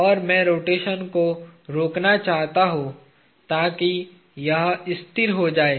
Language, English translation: Hindi, And, I wish to arrest the rotation, so that this becomes stationary